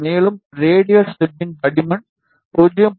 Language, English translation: Tamil, And the thickness of radial stub will be 0